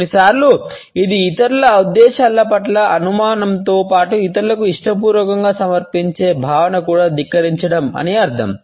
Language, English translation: Telugu, Sometimes, it may also mean contempt a suspicions towards the motives of the other people as well as a feeling of willingly submitting to others